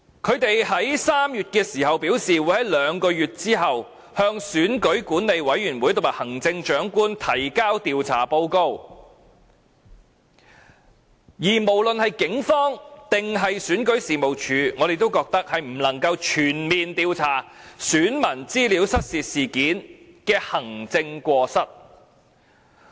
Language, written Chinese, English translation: Cantonese, 他們3月時表示，會在兩個月後向選舉管理委員會和行政長官提交調查報告，而無論是警方還是選舉事務處，我們都認為是不能夠全面調查選民資料失竊事件的行政過失。, They said in March that they would submit their respective investigation reports to the Electoral Affairs Commission and the Chief Executive two months later . But we think both the Police and REO will be unable to conduct a comprehensive investigation into the maladministration involved in the incident of voter registration data theft